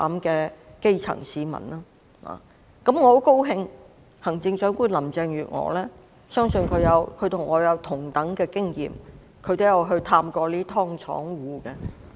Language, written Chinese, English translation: Cantonese, 我相信行政長官林鄭月娥與我有類似經驗，亦曾探訪這些"劏房戶"。, I believe Chief Executive Carrie LAM has an experience similar to mine in visiting such dwellers of subdivided units